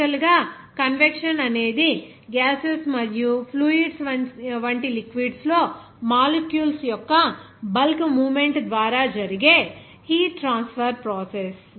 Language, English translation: Telugu, Basically, convection is the process of heat transfer by the bulk movement of molecules within fluids such as gases and liquids and the bulk heat transfer that happens due to the motion of the fluid